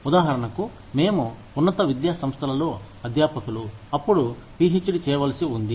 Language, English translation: Telugu, For example, we the faculty in institutes of higher education, are required to have a PhD, now